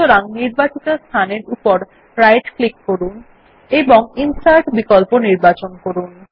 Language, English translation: Bengali, So, I shall right click on the selection and choose Insert option